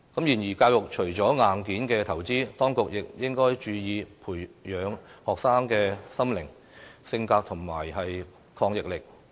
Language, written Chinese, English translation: Cantonese, 然而，教育除了硬件投資，當局亦應注意培養學生的心靈、性格和抗逆力。, Nevertheless apart from investing in education hardware the authorities should also pay attention to the need to nurture the minds and characters of students and to build up their resilience